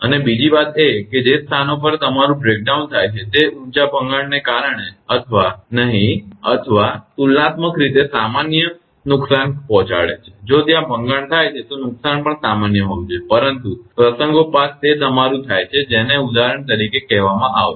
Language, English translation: Gujarati, And second thing is that the positions at which breakdown take place will your will be higher breakdown may cause no or no or comparatively minor damage, if there is a breakdown also the damage should be minor right, but occasionally it happens your what is called for example